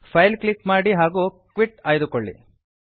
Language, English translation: Kannada, Click on File and choose Quit